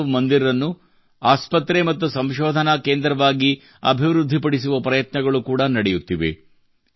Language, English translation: Kannada, Efforts are also on to develop Manav Mandir as a hospital and research centre